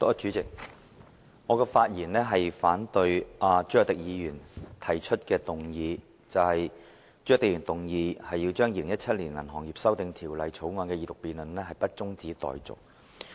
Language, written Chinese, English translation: Cantonese, 代理主席，我發言反對朱凱廸議員動議的議案，不將《2017年銀行業條例草案》的二讀辯論中止待續。, Deputy President I rise to speak in opposition to the motion moved by Mr CHU Hoi - dick that the Second Reading debate on the Banking Amendment Bill 2017 the Bill be not adjourned